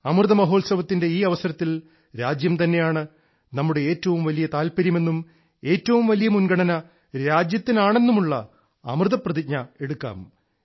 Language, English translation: Malayalam, Come, on Amrit Mahotsav, let us make a sacred Amrit resolve that the country remains to be our highest faith; our topmost priority